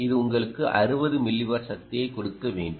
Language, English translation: Tamil, this should give you sixty milliwatt right of power